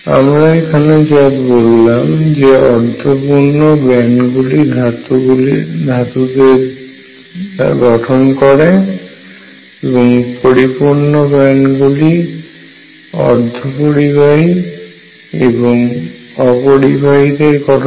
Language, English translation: Bengali, And what we have said is half filled bands give metals fully filled bands give insulators and semiconductors